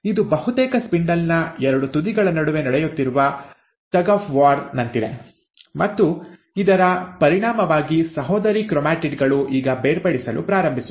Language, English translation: Kannada, It is almost like a tug of war which is happening between the two ends of the spindle, and as a result, the sister chromatids now start getting separated